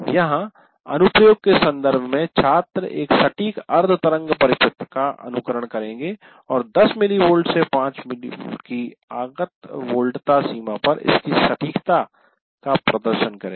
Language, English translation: Hindi, Now here in terms of application, what we are asking students will simulate a precision half wave circuit and demonstrate its precision over the input voltage range of 10 mill volts to 5 volts volts